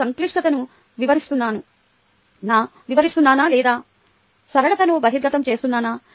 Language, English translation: Telugu, am i explaining complexity or revealing simplicity